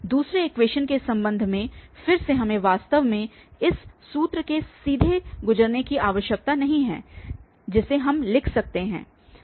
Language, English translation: Hindi, Regarding the second equation and again we do not have to really go through this formula directly we can write